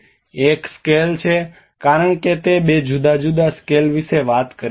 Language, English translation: Gujarati, One is the scales, because they two talk about different scales